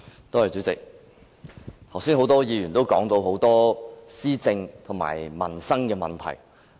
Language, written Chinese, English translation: Cantonese, 代理主席，剛才多位議員提到種種施政及民生問題。, Deputy President many Members have talked about various governance and livelihood problems